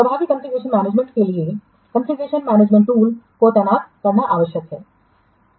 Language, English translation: Hindi, For effective configuration management, it is necessary to deploy a configuration management tool